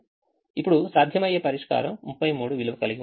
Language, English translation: Telugu, the feasible solution now has a value thirty three